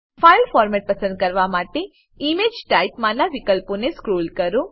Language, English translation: Gujarati, To select the file format, scroll down the options on the Image Type